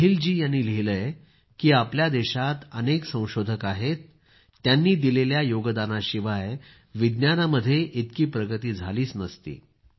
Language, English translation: Marathi, Snehil ji has written that there are many scientists from our country without whose contribution science would not have progressed as much